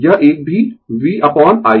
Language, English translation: Hindi, This one also is equal to v upon I